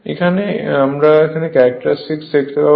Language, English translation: Bengali, So, this is the characteristic